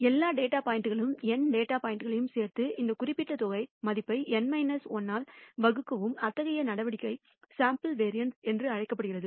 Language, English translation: Tamil, And add over all the data points n data points and divide the this particular sum squared value by N minus 1, such a measure is called the sample variance